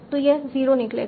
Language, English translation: Hindi, So this will come out to be 0